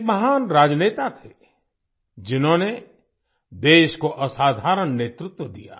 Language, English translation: Hindi, He was a great statesman who gave exceptional leadership to the country